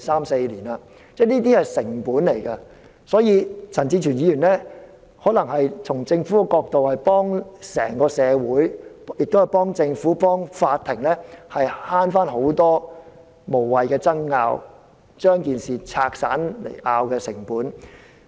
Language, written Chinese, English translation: Cantonese, 所以，從這個角度而言，陳志全議員可能是幫了整個社會、政府和法庭省卻了很多無謂的爭拗，或是把事情分散爭拗的成本。, For that reason if we view the issue from this perspective perhaps Mr CHAN Chi - chuen is helping our entire society as the Government and law courts may save a lot of time on meaningless disputes or the cost of resolving the disputes